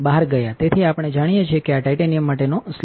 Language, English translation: Gujarati, So, we know this is the slot for titanium